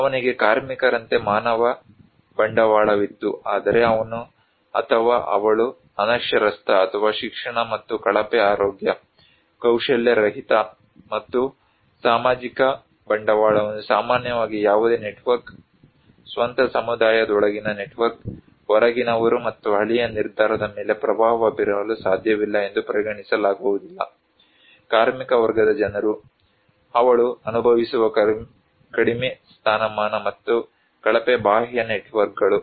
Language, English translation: Kannada, He had human capital like labour, but he or she is illiterate or no education and poor health, unskilled and social capital generally is not but outcasted considered to be no network, network within own community, no outside and cannot influence the village decision, a labor class people, also low status she enjoys and poor external networks